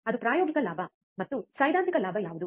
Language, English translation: Kannada, That is the experimental gain and what is the theoretical gain